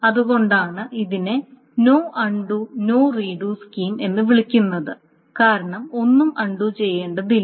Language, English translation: Malayalam, So that is why this is also called a no undo slash no redo scheme because nothing needs to be undone, nothing needs to be done